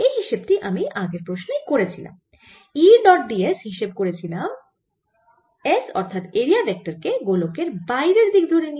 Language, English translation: Bengali, i have already calculated in the previous problem when i did e dot d s, taking s the elemental vector to be area vector to be pointing out of this sphere